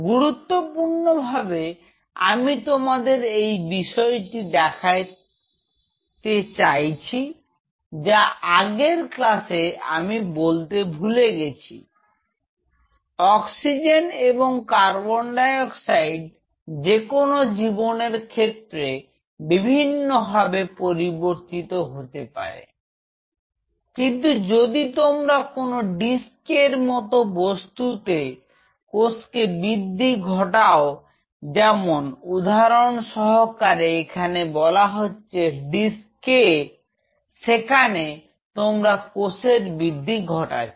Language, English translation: Bengali, So, what essentially, I wish to highlight which I forgot in the previous class is oxygen and CO2 is dynamically changing in a real life scenario, but if you grow cells in a dish like this say for example, this is the dish K where you are growing the cell